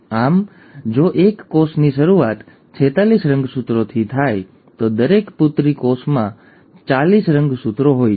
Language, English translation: Gujarati, So if a cell starts with forty six chromosomes, each daughter cell will end up having forty six chromosomes